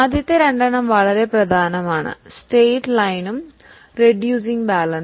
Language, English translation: Malayalam, The first two are very important, the straight line and reducing balance